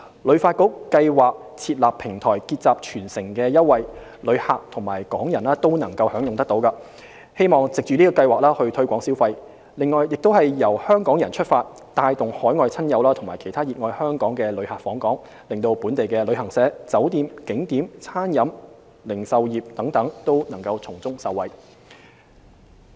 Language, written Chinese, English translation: Cantonese, 旅發局計劃設立平台結集全城優惠，旅客及港人均可享用，希望藉計劃推動消費，亦由香港人出發，帶動海外親友及其他熱愛香港的旅客訪港，令本地的旅行社、酒店、景點、餐飲業、零售業等都可以從中受惠。, Leveraging the influence of local residents the programme aims to attract overseas relatives and friends as well as fans of Hong Kong to stimulate spending and generate business for travel agents hotels attractions catering retail etc